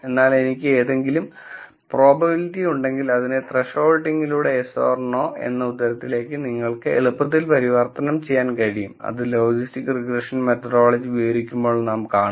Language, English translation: Malayalam, So, if I have probabilities for something I can easily convert them to yes or no answers through some thresholding, which we will see in the logistics regression methodology when we describe that